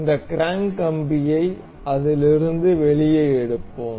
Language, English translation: Tamil, We will take out this crank rod out of it